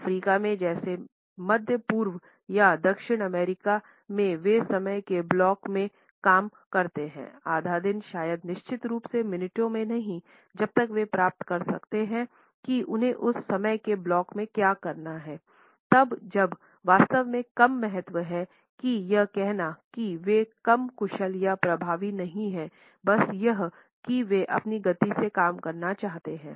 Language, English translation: Hindi, In Africa like in the middle east or South America there they work in blocks of time, half a day maybe certainly not in minutes as long as they can achieve what they need in that block of time, then exactly when is less importance that is not to say that they are less efficient or effective its just that they work at their own pace